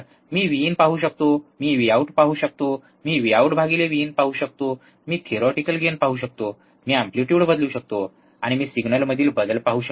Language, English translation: Marathi, I can see V in I can see V out I can see V out by V in, I can see theoretical gain, I can change the amplitude, and I can see the change in signal